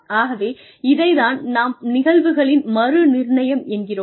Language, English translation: Tamil, So, that is called reallocation of incidents